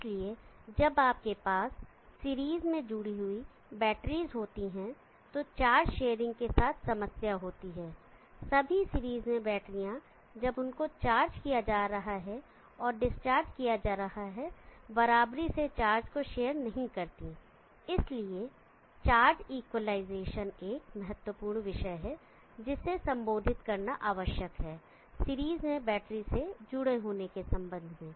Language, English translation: Hindi, Thirdly we need to look at problems associated with battery being connected in series so when you have batters connected in series there is a problem with charge sharing all the batters and series do not share equally the charge while being charge and while being discharged and therefore charge equalization is an important topic that need to be addressed with regard to battery being connected in series